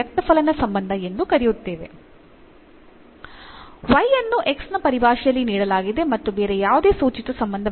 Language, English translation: Kannada, So, we have y is given in terms of x no other implicit relation